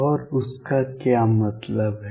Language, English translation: Hindi, And what does that mean